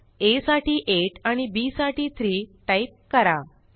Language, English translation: Marathi, I enter a as 8 and b as 3